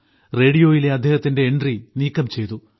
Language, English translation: Malayalam, His entry on the radio was done away with